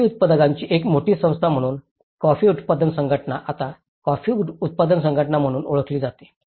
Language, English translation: Marathi, So, being a large society of coffee growers is a coffee growers federation which is now termed as coffee growers organizations